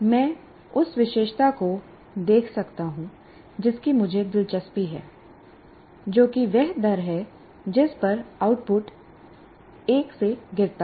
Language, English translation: Hindi, The characteristic that I'm interested is the rate at which the output falls from 1